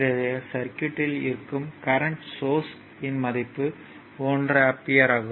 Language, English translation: Tamil, Now, look at this circuit is a current source one ampere, right